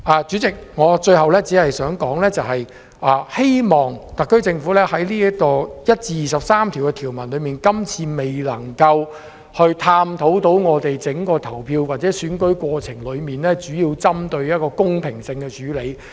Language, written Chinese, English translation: Cantonese, 主席，最後，我只想指出，今次納入的第1至23條的條文，並未能探討整個投票或選舉的公平性並作出針對性的處理。, Lastly Chairman I wish to point out that the inclusion of clauses 1 to 23 as part of the Bill this time around has failed to examine the fairness of the voting arrangement or the election as a whole and offer targeted measures